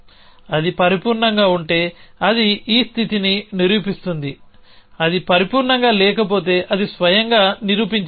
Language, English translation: Telugu, If it is perfect it will it will proven this state if it is not perfect it own proved